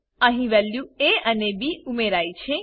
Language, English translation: Gujarati, Here the values of a and b are added